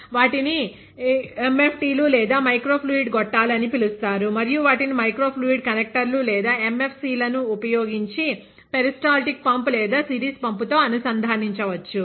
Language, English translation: Telugu, They are called MFTs or microfluidic tubes, and they can be connected to a peristaltic pump or a series pump using microfluidic connectors or MFCs